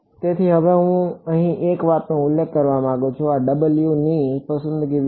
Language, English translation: Gujarati, So, now one thing I want to mention over here, about the choice of these W ok